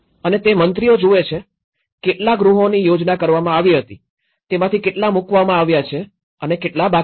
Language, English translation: Gujarati, And that is what ministers look at, how many number of houses were planned, how many have been executed, how many have been laid out and how many are pending